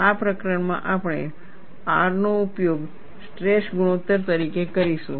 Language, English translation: Gujarati, In this chapter, we would use R as stress ratio